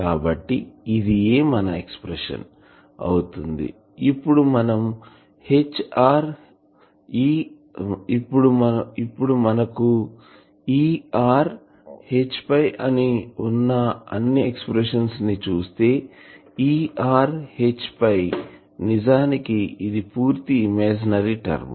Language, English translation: Telugu, So, this will be the expression, now again if you look at you have all this expressions just look at them E r H phi star, that actually is a purely imaginary term